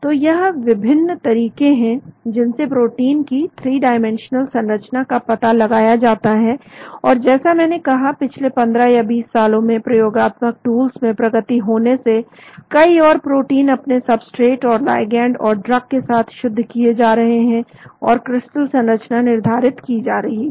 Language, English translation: Hindi, So these are the various steps by which protein 3 dimensional structure is determined, and as I said in the past 15 or 20 years with the improvement in the experimental tools more proteins are getting crystallized with substrates and ligands and drugs and the crystal structures are being determined